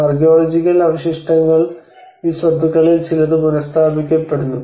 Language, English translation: Malayalam, And whereas the archaeological remains you know and whereas some of these properties which are restored back